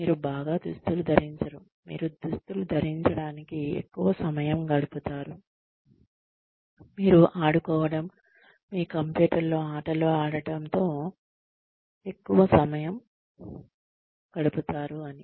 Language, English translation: Telugu, but you do not dress up very well, you spend too much time dressing up, you spend too much time playing with your, playing games on your computer